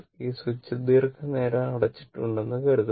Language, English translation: Malayalam, And it suppose this switch is closed for long time